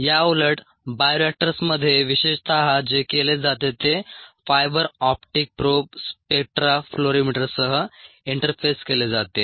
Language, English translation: Marathi, what is done is ah fiber optic probe is interfaced with a spectra fluorimeter